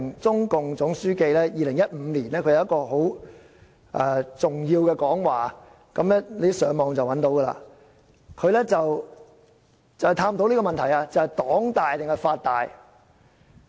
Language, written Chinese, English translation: Cantonese, 中共總書記習近平在2015年發表了很重要的講話——大家上網便可找到——便是探討黨大還是法大這個問題。, In 2015 the General Secretary of the Communist Party of China CPC XI Jinping made a very important speech―Members can find the speech on the Internet―on whether the ruling party or the law was superior